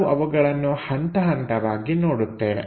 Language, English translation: Kannada, Let us look at them step by step